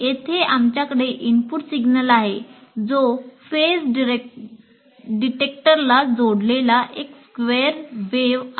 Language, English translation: Marathi, That means you have an input signal which is square wave here to this and this is a phase detector